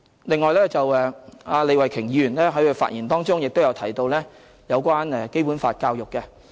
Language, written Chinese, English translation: Cantonese, 另外，李慧琼議員在發言中亦提到有關《基本法》教育。, Besides Ms Starry LEE has also mentioned Basic Law education in her speech